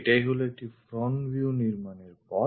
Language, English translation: Bengali, This is the way we construct a front view